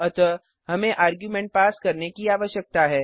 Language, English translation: Hindi, So we need to pass arguments